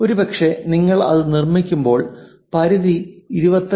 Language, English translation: Malayalam, Perhaps when you are making this is ranging from 25